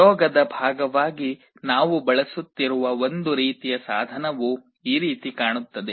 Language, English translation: Kannada, One kind of device we shall be using as part of the experiment looks like this